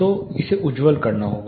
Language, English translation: Hindi, So, it has to turn bright